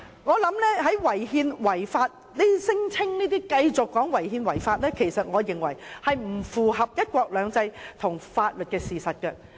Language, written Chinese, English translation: Cantonese, 我認為這些聲稱違憲及違法的說法並不符合"一國兩制"及法律的事實。, I think the claims that the co - location arrangement is unconstitutional and unlawful do not tally with the principle of one country two systems and the legal facts